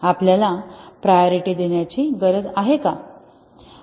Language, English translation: Marathi, Why do we need to prioritize